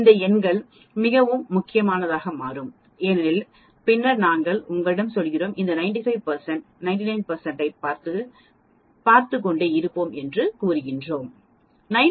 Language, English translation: Tamil, These numbers will become very important because later on we are going to you will keep on looking at these 95 percent 99 percent